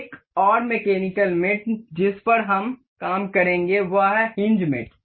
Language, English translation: Hindi, Another mechanical mate we will work on is hinge mate